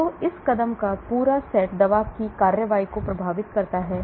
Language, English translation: Hindi, So this entire set of steps affect the drug action